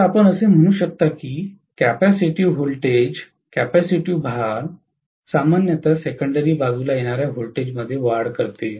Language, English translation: Marathi, So, you can say that capacitive voltage, capacitive loads normally increase the voltage that comes out on the secondary side